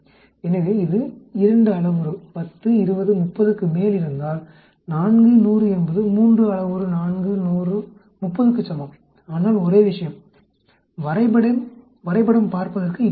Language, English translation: Tamil, So if this is on 10, 20, 30 a 2 parameter 4, 100 is same as a three parameter 4, 100, 30 but only thing is the graph will look like this